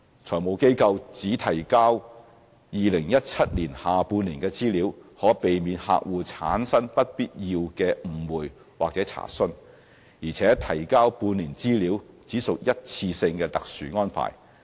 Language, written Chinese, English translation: Cantonese, 財務機構只提交2017年下半年的資料，可避免客戶產生不必要的誤會或查詢，而且提交半年資料只屬一次過特殊安排。, Requiring FIs to only submit data for the second half of 2017 can avoid undue misunderstanding or queries by their clients . In any case the submission of half - year data is just a special one - off arrangement